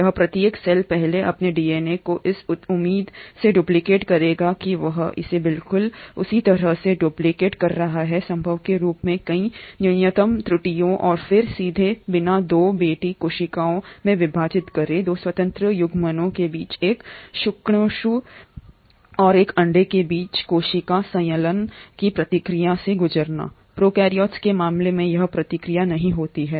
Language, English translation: Hindi, Here each cell will first duplicate its DNA in the hope that it is duplicating it exactly with as many minimal errors as possible and then divide into 2 daughter cells directly without undergoing the process of cell fusion between 2 independent gametes a sperm and an egg, that process does not happen in case of prokaryotes